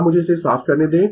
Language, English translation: Hindi, Now, let me clear it